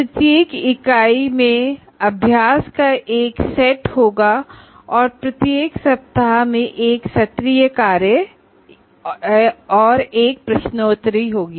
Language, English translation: Hindi, Each unit will have a set of exercises and each week will have an assignment or a quiz